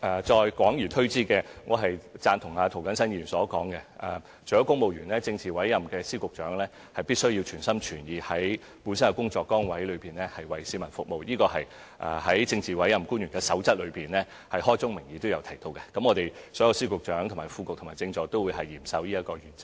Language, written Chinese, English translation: Cantonese, 再廣而推之，我贊同涂謹申議員所說，除了公務員外，政治委任的司局長亦必須全心全意，在本身的工作崗位服務市民，這是《守則》開宗明義提到的，所有司局長、副局長及政助都會嚴守這個原則。, If we see this from a wider perspective I agree with Mr James TO that apart from civil servants politically appointed Secretaries of Departments and Directors of Bureaux should also serve the public wholeheartedly in their official positions . This is a requirement stipulated expressly in the beginning of the Code which will be strictly observed by all Secretaries of Departments Directors of Bureaux Under Secretaries and Political Assistants